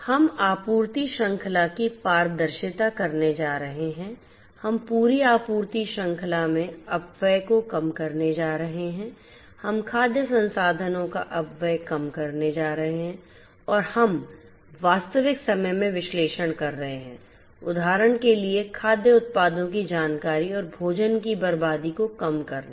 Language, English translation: Hindi, We are going to have transparency of the supply chain, we are going to minimize the wastage in the entire supply chain, we are going to have minimized wastage of food resources, we can analyze in real time foe example the information of food products and reduce the food wastage